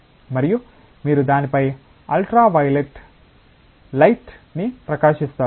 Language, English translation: Telugu, And you shine ultraviolet light on that